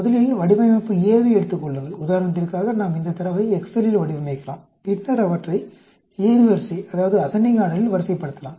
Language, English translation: Tamil, First take design A, let us do design a put this data in excel for example, and then sort them in ascending order